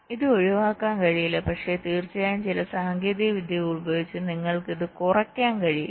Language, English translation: Malayalam, this cannot be avoided, but of course you can reduce it by using some techniques